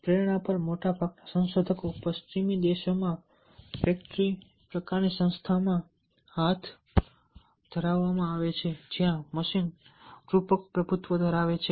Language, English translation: Gujarati, most research on motivation are conducted in factory type of organization in western countries, where the machine metaphor dominates